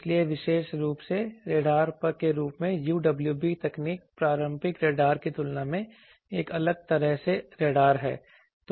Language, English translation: Hindi, So, UWB technology particularly in the form of radars which are a different kind of radars than the conventional radars